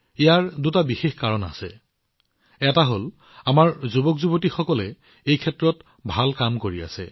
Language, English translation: Assamese, There are two special reasons for this one is that our youth are doing wonderful work in this field